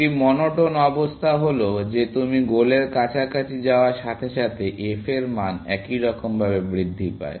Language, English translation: Bengali, A monotone condition is that, as you move closer to the goal, the f value monotonically increases